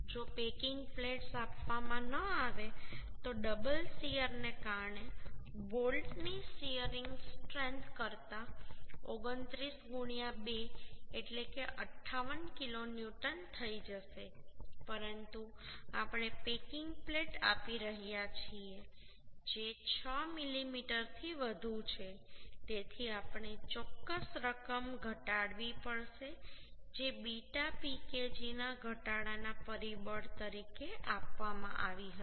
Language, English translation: Gujarati, 21 kilonewton this is less than 29 into 2 that means 58 kilonewton If packing plates are not given than the shearing strength of the bolt due to double shear will become 29 into 2 that is 58 kilonewton but as we are providing packing plate which is more than 6 mm so we have to reduce certain amount which was given as a reduction factor of beta Pkg and that value is coming 0